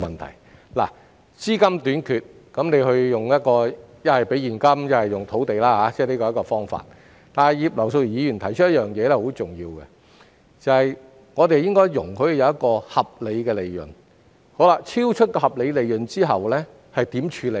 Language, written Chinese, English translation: Cantonese, 如果資金短缺，可以利用現金或土地解決，但葉劉淑儀議員提出了十分重要的一點，就是在容許合理利潤之餘，當超出合理利潤時該如何處理。, If there is a shortage of capital it can be made up by using cash or land . However Mrs Regina IP has highlighted a very important point that is while allowing reasonable profits what should be done when profits exceeded the reasonable level